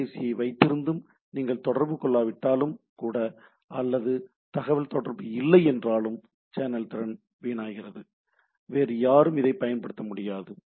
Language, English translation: Tamil, Even if you are not communicating holding the phone or even not no data communication is not there, the channel capacity is wasted no other party can use the things